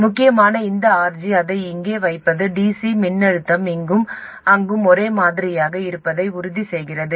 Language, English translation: Tamil, Essentially this RG putting it here, make sure that the DC voltage here and there are the same